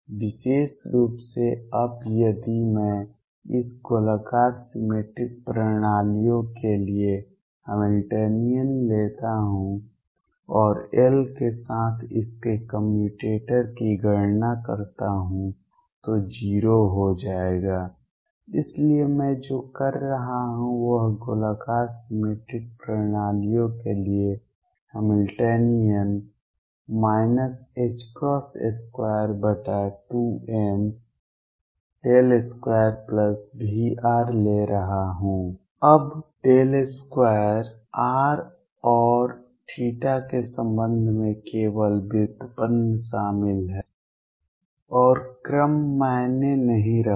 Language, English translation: Hindi, In particular now if I take the Hamiltonian for this spherically symmetric systems and calculate its commutator with L will turn out to be 0, so what I am doing is I am taking the Hamiltonian for the spherically symmetric systems minus h cross square over 2m, del square plus V r, now del square involves only derivatives with respect to r and theta and the order does not matter